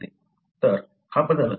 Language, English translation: Marathi, So, this change, it is rare